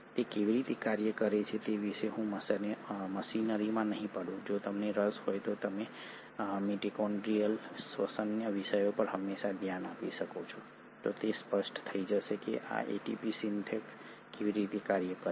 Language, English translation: Gujarati, I will not get into the machinery as to how it functions; if you are interested you can always look at topics of mitochondrial respiration, it will become evident how this ATP Synthase work